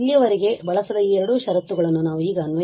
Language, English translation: Kannada, And now we can apply these two conditions which were not use so far